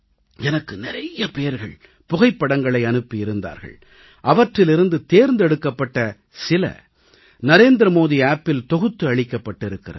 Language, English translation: Tamil, I received a lot of photographs out of which, selected photographs are compiled and uploaded on the NarendraModiApp